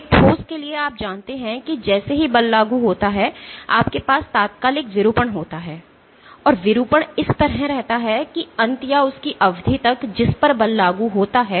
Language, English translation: Hindi, So, for a solid you know that as soon as the force is applied you have an instantaneous deformation, and the deformation remains like that till the end or the duration over which the force is applied